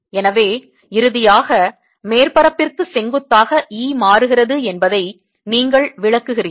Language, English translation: Tamil, so finally, you interpreting e becoming perpendicular to the surface